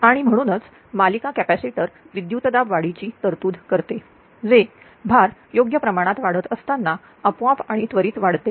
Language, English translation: Marathi, Then therefore, a series capacitor provides for a voltage rise which increases automatically and intention intention instantaneously as the load grows right